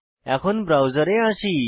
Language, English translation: Bengali, Now, come to the browser